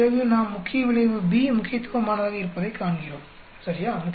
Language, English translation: Tamil, Then we see that main effect B is significant, ok